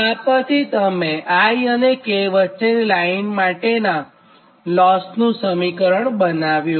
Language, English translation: Gujarati, this is the loss formula for your what you call line i and k